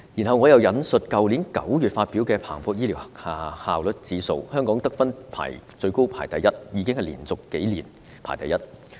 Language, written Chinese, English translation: Cantonese, 我想引述去年9月發表的彭博醫療效率指數，香港得分最高排名第一，而且是連續數年排名第一。, I would like to quote the Bloomberg Healthcare Efficiency Index published last September . Hong Kong had the highest scores and ranked first for a few consecutive years